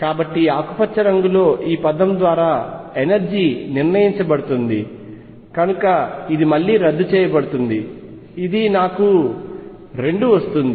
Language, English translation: Telugu, So, the energy is determined by this term in green, so this cancels again this gives me 2